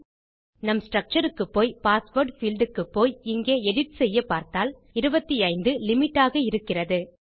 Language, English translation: Tamil, Thats because if we go to our structure and go down to our password field here and edit this, we have currently got a length of 25 as its limit